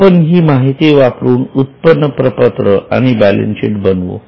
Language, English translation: Marathi, Using this data, let us go to income statement and the balance sheet